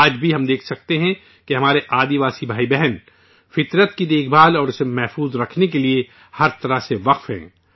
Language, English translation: Urdu, Even today we can say that our tribal brothers and sisters are dedicated in every way to the care and conservation of nature